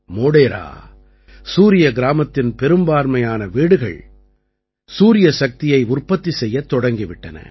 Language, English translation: Tamil, Most of the houses in Modhera Surya Gram have started generating electricity from solar power